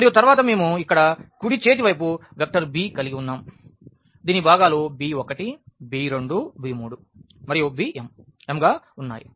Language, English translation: Telugu, And then we have the right hand side vector here b whose components are these b 1 b 2 b 3 and b m